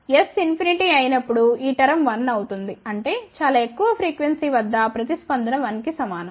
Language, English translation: Telugu, When s is infinity this term will become 1; that means, at very high frequency response is equal to 1